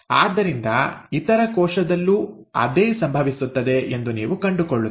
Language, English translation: Kannada, So, you find, same thing happens with the other cell